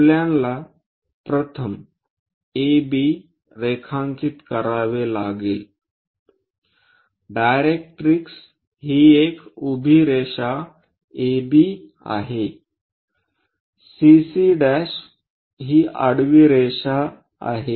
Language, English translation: Marathi, AB we have to draw first, directrix is a vertical line name it, A somewhere B draw something axis CC prime, which is horizontal line